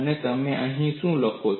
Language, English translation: Gujarati, And what do you take here